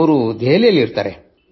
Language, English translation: Kannada, He stays in Delhi